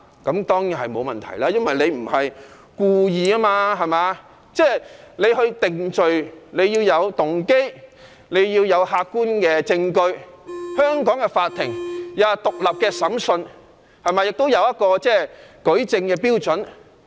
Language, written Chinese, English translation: Cantonese, 這當然沒問題，因為該人不是故意的，定罪要視乎動機和客觀證據，香港法庭有獨立審訊，亦有舉證標準。, Certainly nothing will happen to him as he is not intentional in doing so and conviction must be based on proof of motive and objective evidence . The courts in Hong Kong exercise judicial power independently and the standard of proof is also upheld